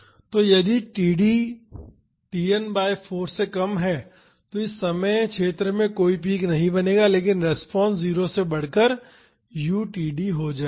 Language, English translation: Hindi, So, if td is shorter than Tn by 4 there would not be any peak developing in this time zone, but the response will increase from 0 to u td